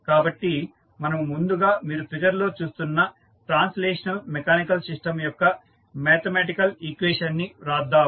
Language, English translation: Telugu, So, let us first write the mathematical equation for the translational mechanical system, which you are seeing in the figure